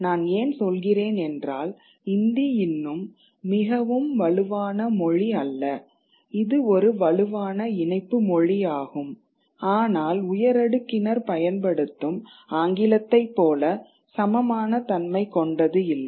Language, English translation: Tamil, I am saying this because Hindi is still not a very strongling, it is a strongling language but it is not as smooth as English is among the elite